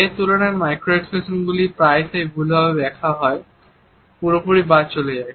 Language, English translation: Bengali, In comparison to that micro expressions are either often misinterpreted or missed altogether